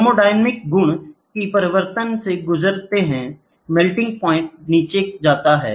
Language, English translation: Hindi, Thermodynamic properties also undergo a sea change, melting points go down